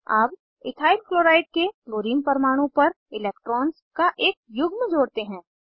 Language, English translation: Hindi, Lets add a pair of electrons on the Chlorine atom of EthylChloride